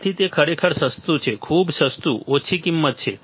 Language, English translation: Gujarati, So, it is really cheap very cheap low cost right